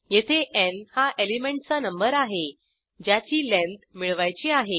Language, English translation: Marathi, Here n is the element number, whose length is to be found